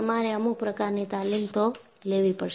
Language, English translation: Gujarati, You will have to have some kind of training